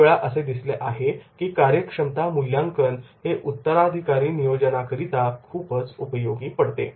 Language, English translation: Marathi, Many times it has been observed that is in the potential appraisal is very much helpful for succession planning